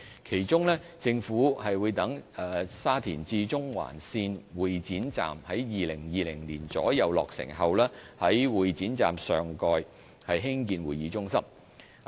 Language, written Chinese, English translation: Cantonese, 其中，政府會待沙田至中環線會展站於2020年左右落成後，在會展站上蓋興建會議中心。, For instance the Government will construct a convention centre above the Exhibition Station of the Shatin - to - Central Link upon the latters completion in around 2020